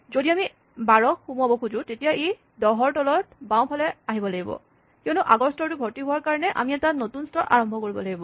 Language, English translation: Assamese, If we want to insert 12 it must come below the 10 to the left because we have to start a new level, since the previous level is full